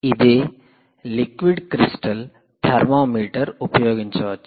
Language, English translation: Telugu, its called liquid crystal thermometer